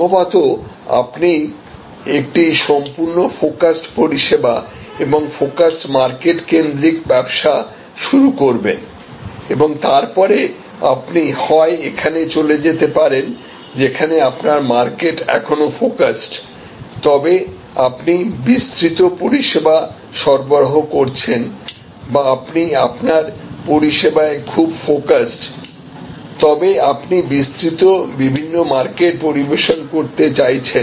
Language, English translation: Bengali, So, most probably you will start as a fully focused service and market focused business and then you can either move here, where you are still market focused, but you are providing a wide range of services or you can be very focused on your service, but you can serve a wide different market areas